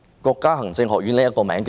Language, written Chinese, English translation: Cantonese, 國家行政學院是甚麼呢？, What is Chinese Academy of Governance?